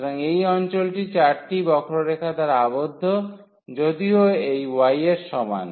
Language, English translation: Bengali, So, this is the region bounded by the 4 curves though this y is equal to